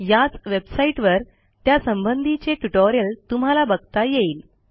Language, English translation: Marathi, You can find the tutorial at this website